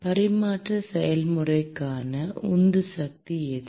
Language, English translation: Tamil, What is the driving force for transfer process